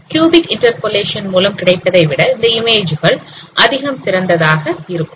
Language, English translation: Tamil, They are much better than what we have obtained by b cubic interpolation